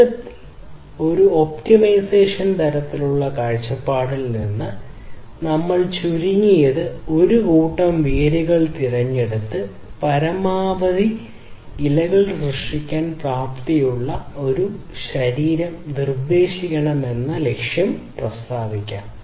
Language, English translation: Malayalam, So, overall from a optimization kind of viewpoint; the goal can be stated like this that we need to select a minimum set of roots and propose a potential trunk that enables the creation of maximum set of leaves